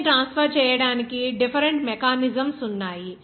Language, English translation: Telugu, There are different mechanisms of transferring heat